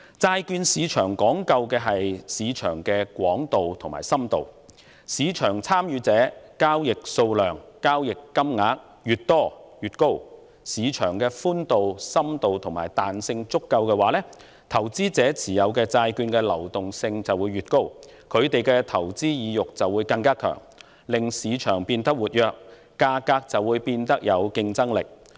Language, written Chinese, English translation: Cantonese, 債券市場講究的，是市場的寬度和深度，當市場參與者人數和交易數量越多、交易金額越大，而市場具足夠的寬度、深度和彈性，投資者持有債券的流動性便越高，他們的投資意欲亦更強，市場交投因而變得更為活躍，價格便更具競爭力。, The breadth and depth of the market are what really matters as far as the bond market is concerned . When the market has adequate breadth depth and elasticity with a larger number of participants and high market turnover the liquidity of the bonds held by investors will be higher who will have stronger desire to invest in the market . This will lead to more active trading in the market at more competitive prices